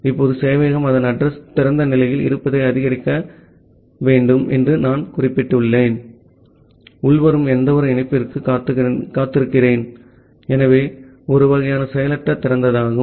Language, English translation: Tamil, Now, as I have mentioned that the server needs to announce it address remain in the open state and waits for any incoming connection, so that is the kind of passive open